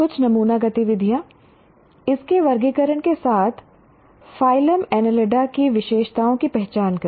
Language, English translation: Hindi, Some sample activities identify the characteristics of phylum enelida with its classifications